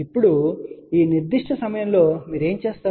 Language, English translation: Telugu, Now, at this particular point, what you do